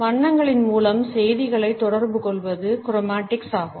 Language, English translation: Tamil, Chromatics is our communication of messages through colors